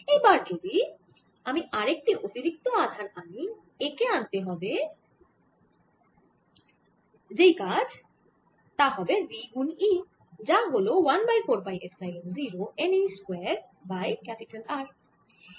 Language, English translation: Bengali, if i bring an extra electron now, so the work done, bringing that extra electron is going to be v times e, which is going to b one over four pi, epsilon zero, n, e square over r